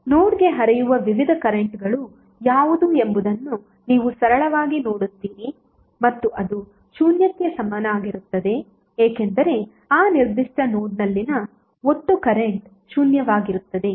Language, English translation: Kannada, You will simply see what are the various currents flowing into the node and it equate it equal to zero because total sum of current at that particular node would be zero